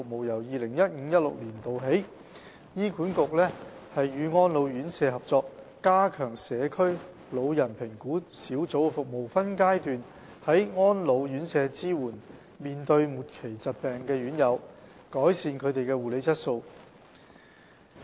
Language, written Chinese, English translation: Cantonese, 由 2015-2016 年度起，醫管局與安老院舍合作，加強社區老人評估小組的服務，分階段在安老院舍支援面對末期疾病的院友，改善他們的護理質素。, Since 2015 - 2016 HA has in collaboration with residential care homes for the elderly RCHEs strengthened the service of the Community Geriatric Assessment Team in phases to provide better support for terminally ill residents living in RCHEs to improve the quality of care